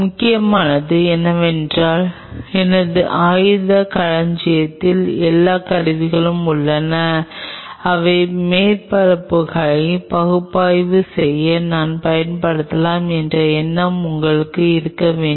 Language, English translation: Tamil, What is important is that you should have an idea that what all tools are there in my armory, which I can use to analyze surfaces